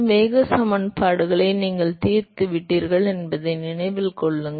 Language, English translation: Tamil, Remember, you solved the momentum equations